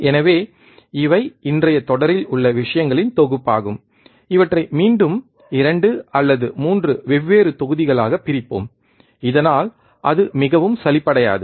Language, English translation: Tamil, So, these are the set of things in today's series, we will again divide these into 2 or 3 different modules so that it does not become too boring